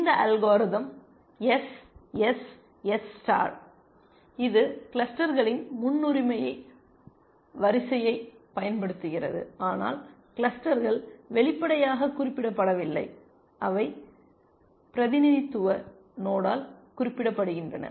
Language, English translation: Tamil, So, this algorithm SSS star, it uses a priority queue of clusters, but clusters are not represented explicitly, they are represented by the representative node essentially